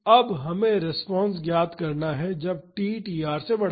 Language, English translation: Hindi, Now, we have to find the response when t is greater than tr